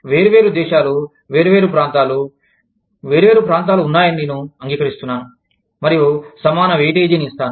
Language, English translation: Telugu, Different countries, different regions, i accept, that there are different regions, and i will give, equal weightage